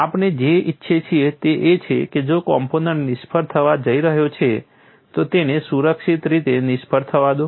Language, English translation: Gujarati, What we want is if the component is going in to fail, let it fail safely